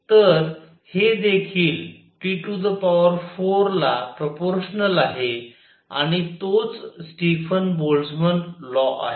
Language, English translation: Marathi, So, this is also proportional to T raise to 4 and that is the Stefan Boltzmann law